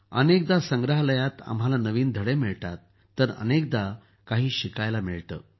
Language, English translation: Marathi, Sometimes we get new lessons in museums… sometimes we get to learn a lot